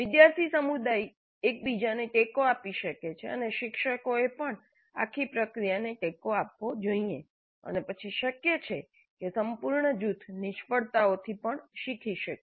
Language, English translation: Gujarati, The student community can support each other and faculty also must support the entire process and then it is possible that the group as a whole can learn from failures also